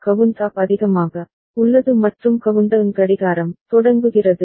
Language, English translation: Tamil, Count up remains at high and countdown starts clocking ok